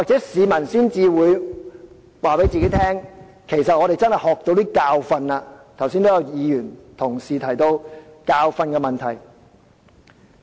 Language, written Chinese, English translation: Cantonese, 市民或會告訴自己，我們在此事上汲取一些教訓，剛才也有同事提到教訓的問題。, People may tell themselves that we have learnt some lessons in the incident and some colleagues have also talked about learning lessons earlier